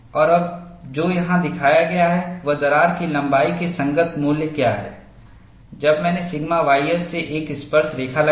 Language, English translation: Hindi, And what is now shown here is, what are the corresponding values of the crack length, when I put a tangent from sigma y s